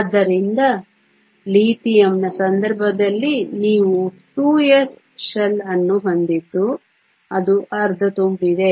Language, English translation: Kannada, So, in the case of Lithium you have a 2 s shell that is half full